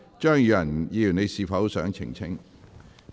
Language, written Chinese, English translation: Cantonese, 張宇人議員，你是否想澄清？, Mr Tommy CHEUNG do you want to give a clarification?